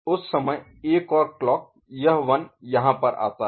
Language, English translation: Hindi, Another clock at that time, this 1 comes over here